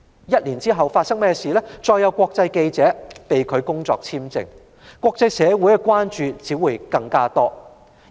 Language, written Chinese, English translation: Cantonese, 一年後，再有國際記者被拒發工作簽證，國際社會只會更為關注。, A year later the work visa of another international journalist was rejected and the international community became more concerned